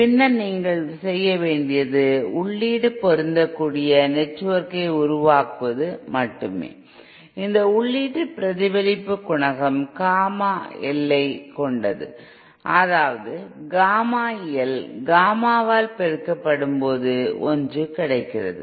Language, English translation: Tamil, Then only you have to do is simply make an input matching network which has input reflection coefficient Gamma L such that Gamma L multiplied by Gamma in is unity